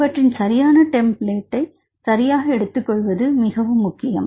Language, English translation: Tamil, So, it is very important to identify a proper template right